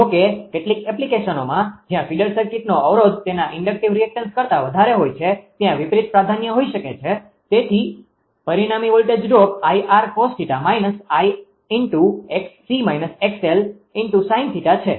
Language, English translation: Gujarati, So, ; however, in certain applications where the resistance of the feeder circuit is large and that is inductive reactance right, the reverse might prefer, so that the result and voltage drop will be I r cos theta minus I x c minus x l sin theta right